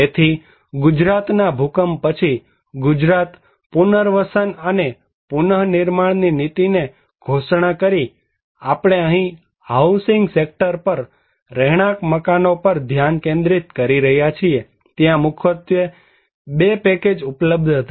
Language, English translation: Gujarati, So, after the Gujarat earthquake, the Gujarat Government declared rehabilitation and reconstruction policy, we are focusing here at the housing sector, residential buildings, there were mainly 2 packages were available